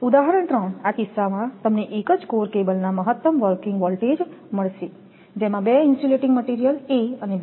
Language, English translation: Gujarati, Example 3: In this case you find the maximum working voltage of a single core cable having two insulating material A and B